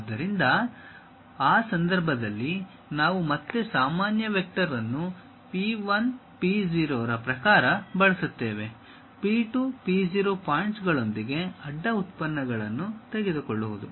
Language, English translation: Kannada, So, in that case we again use normal vector in terms of P 1, P 0; taking a cross product with P 2, P 0 points